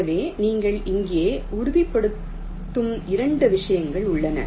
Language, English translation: Tamil, so there are two things that you are just ensuring here